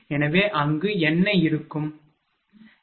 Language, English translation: Tamil, So, just what will be there, right